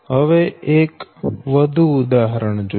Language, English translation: Gujarati, now take one example